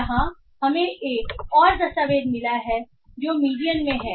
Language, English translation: Hindi, Here we find another document which is at the median